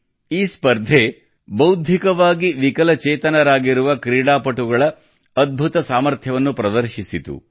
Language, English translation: Kannada, This competition is a wonderful opportunity for our athletes with intellectual disabilities, to display their capabilities